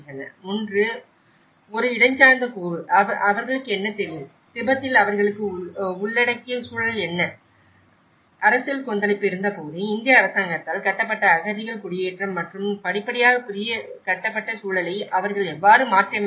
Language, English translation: Tamil, One is a spatial component, what they know, what they have inbuilt environment in Tibet and when the political turmoil existed, then that is where the refugee settlement built by the Indian government and gradually, how they adapt the new built environment that is where the conflicts arrives